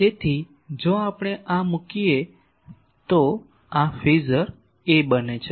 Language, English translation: Gujarati, So, if we put this then A, the phasor A becomes